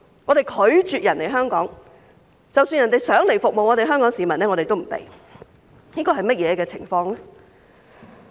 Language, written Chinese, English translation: Cantonese, 我們拒絕人家來香港，即使有人想來服務香港市民，我們也不准許。, Even if they wish to come and serve the Hong Kong community we refuse to let them in